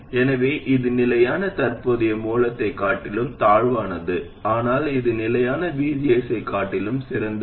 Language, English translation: Tamil, So this is inferior to having a constant current source but it is superior to having a constant VGS